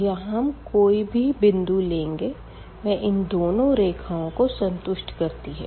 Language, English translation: Hindi, So, we can take a point here on the line and that will satisfy both the equations